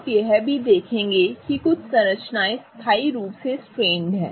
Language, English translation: Hindi, You will also see that some structures are permanently strained